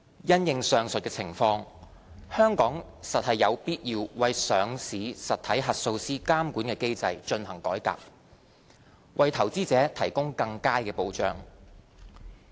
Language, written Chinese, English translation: Cantonese, 因應上述的情況，香港實有必要為上市實體核數師監管機制進行改革，為投資者提供更佳保障。, In view of the aforesaid situation Hong Kong does need to reform the regulatory mechanism for auditors of listed entities so as to provide investors with better protection